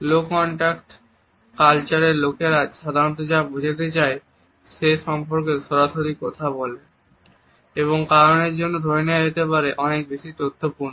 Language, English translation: Bengali, In a low context culture it is more common for people to be direct say what they mean and could be considered more informative because of these points